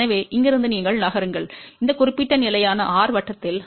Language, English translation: Tamil, So, from here you move along this particular constant r circle ok or here it is r equal to 1